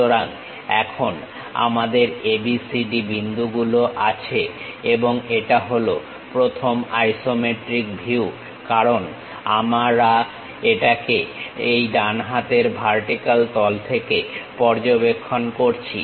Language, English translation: Bengali, So, now, we have points ABCD and this is the first isometric view because we are observing it from right hand vertical face